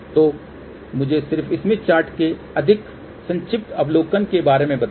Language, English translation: Hindi, So, let me just give little bit of a more brief overview of smith chart